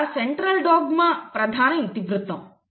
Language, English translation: Telugu, So, Central dogma is the main thematic